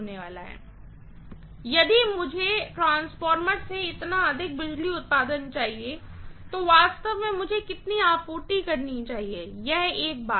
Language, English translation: Hindi, So, if I want so much of power output from the transformer, really how much should I be supplying, this is one thing